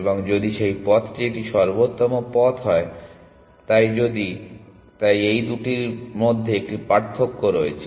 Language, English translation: Bengali, And if that path is an optimal path, so if, so there is a distinction between these two